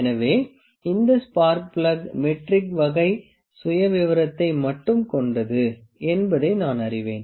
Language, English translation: Tamil, So, I know that this spark plug is having metric type of profile only